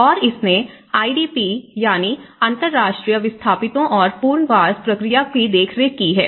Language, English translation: Hindi, And this has looked at the oversea of the IDP, International displaced persons and the resettlement process